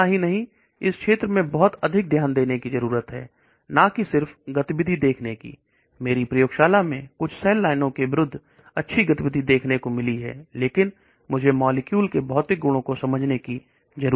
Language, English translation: Hindi, So one need to put in a lot of focus in this area not only just looking at the activity in my lab, anti cancer activity is showing very good activity against certain cell lines, but I need to also understand the physicochemical properties of the molecule